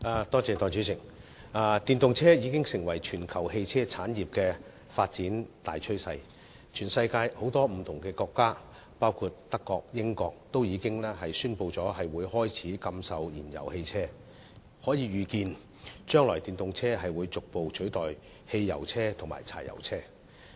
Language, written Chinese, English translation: Cantonese, 代理主席，電動車已經成為全球汽車產業的發展大趨勢，全世界很多國家，包括德國和英國均已宣布開始禁售燃油汽車，可以預見電動車將來會逐步取代汽油車和柴油車。, Deputy President electric vehicles EVs have become a major development trend of the automobile industry worldwide . Many countries in the world including Germany and the United Kingdom have announced the start of banning the sale of fuel - engined vehicles . It is foreseeable that EVs will gradually replace petrol - fuelled vehicles and diesel - fuelled vehicles